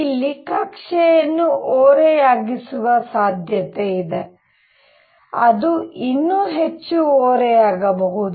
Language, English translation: Kannada, There is a possibility that the orbit could be tilted it could be even more tilted